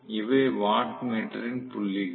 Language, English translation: Tamil, So, these are the points of the watt meter